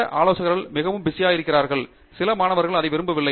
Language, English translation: Tamil, Some advisors are extremely busy and some students don’t like that